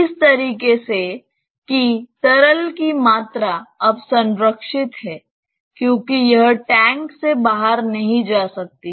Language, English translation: Hindi, In such a way, that the volume of the liquid now is conserved because it cannot go out of the tank